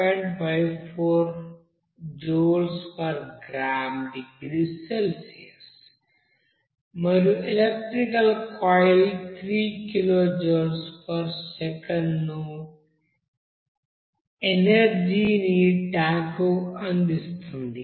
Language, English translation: Telugu, 54 joule per gram degree Celsius and electrical coil which delivers certain amount of power, here it is given 3 kilo Joule per second of power to the tank